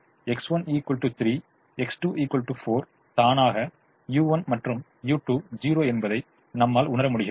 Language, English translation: Tamil, when x one equal to three, x two equal to four, automatically u one, u two are zero